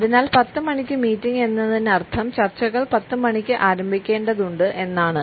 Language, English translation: Malayalam, So, 10 O clock meeting means that the discussions have to begin at 10 o clock